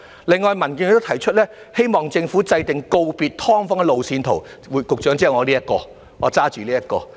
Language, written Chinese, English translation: Cantonese, 另外，民建聯亦提出希望政府制訂告別"劏房"的路線圖——局長，就是我手上拿着這一塊牌子上寫着的。, Besides DAB also raises that we hope the Government formulate a roadmap―Secretary as written on this board I am holding―for bidding farewell to SDUs